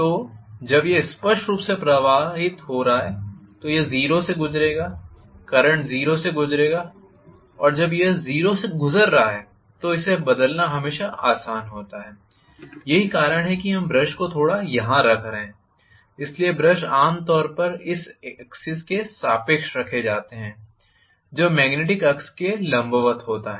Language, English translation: Hindi, So when it is drifting obviously it will go through a 0, the current will go through 0 and when it is going through 0 it is always easier to change over so that is the reason why we are placing the brushes some were here so the brushes are normally placed along this axis which is perpendicular to the magnetic axis